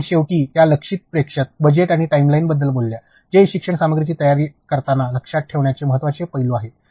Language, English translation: Marathi, And finally, she has talked about the target audience, budget and timeline which are the key aspects to keep in mind while designing the e learning content